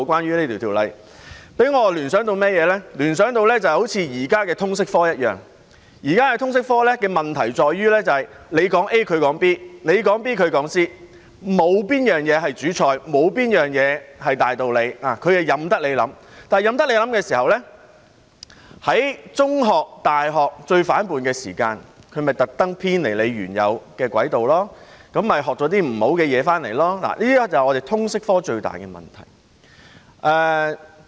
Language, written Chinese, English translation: Cantonese, 這令我聯想到好像現時的通識科一樣，現時的通識科的問題在於你說 A， 他說 B； 你說 B， 他說 C， 沒有東西是主菜，沒有東西是大道理，任由自己思考，但任由自己思考時，在中學、大學最反叛的時期，他們會故意偏離原有的軌道，學習一些不好的東西，這是香港的通識科最大的問題。, The problem with the current liberal studies lies in the fact that when you say A he says B; when you say B he says C There is no topical issue no hard and fast principles . Students could think freely on their own . But in the course of free thinking students are at the most rebellious stage of their life in secondary schools and universities; they will deliberately deviate from the right track by learning something bad from time to time